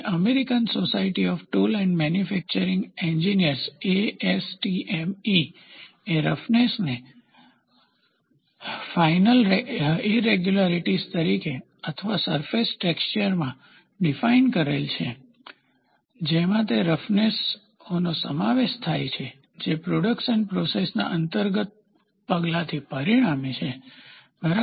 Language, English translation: Gujarati, American society of tool and manufacturing engineers defines roughness as a finer irregularities or in the surface texture, including those irregularities that results from an inherent action of a production process, ok